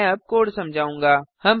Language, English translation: Hindi, I shall now explain the code